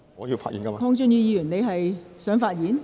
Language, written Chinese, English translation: Cantonese, 鄺俊宇議員，你是否想發言？, Mr KWONG Chun - yu do you wish to speak?